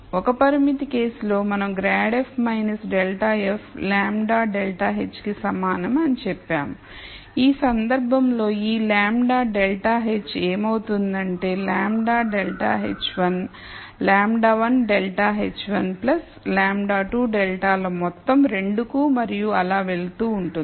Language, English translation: Telugu, In the one constraint case, we simply said grad f minus grad f equal lambda grad h, in this case this lambda grad h becomes a sum of lambda grad h 1 lambda 1 grad h 1 plus lambda 2 grad has 2 and so on